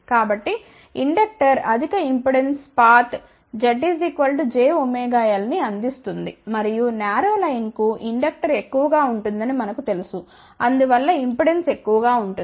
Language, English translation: Telugu, So, inductor will provide a high impedance path Z is equal to j omega l and for narrow line we know that the inductor will be large, hence impedance will be large